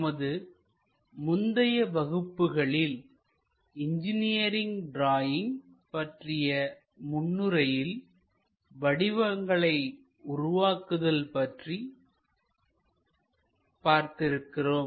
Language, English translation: Tamil, In the earlier classes, we have learnt about introduction to engineering drawings something about geometric constructions